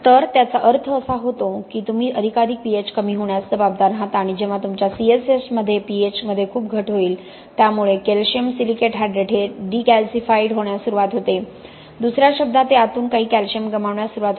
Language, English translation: Marathi, So that means you are going to cause more and more reduction in pH and when a lot of reduction in pH happens your C S H, calcium silicate hydrate can start getting decalcified in other words it will start losing some calcium from within